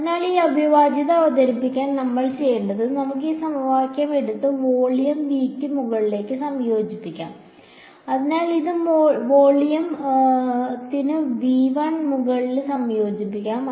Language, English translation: Malayalam, So, to introduce that integral what we need to do is, let us take this equation that I have and let us integrate it over volume V let us, so, let us integrate it over volume V 1 ok